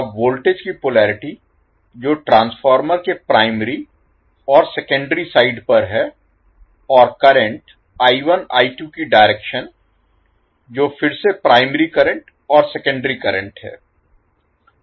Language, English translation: Hindi, Now, the polarity of voltages that is on primary and secondary side of the transformer and the direction of current I1, I2 that is again primary current and the secondary current